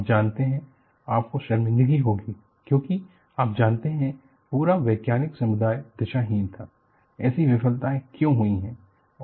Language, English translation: Hindi, You know, you have to be in shame, because you know, the whole scientific community was clueless, why such failures have happened